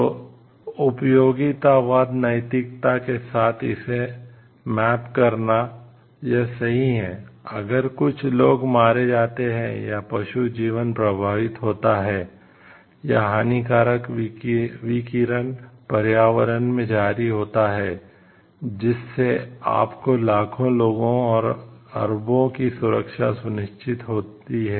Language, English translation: Hindi, So, mapping this with the utilitarianism ethics so, it is right if few people are killed or animal life is affected, or harmful radiations are released in environment, to assure you the security of the nation of millions and billions of people